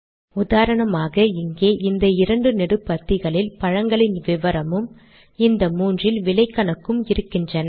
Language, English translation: Tamil, For example, here these two columns have fruit details and these three have cost calculations